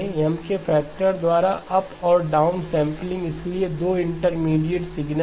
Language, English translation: Hindi, Up and down sampling by a factor of M, so two intermediate signals